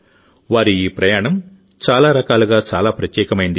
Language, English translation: Telugu, This journey of theirs is very special in many ways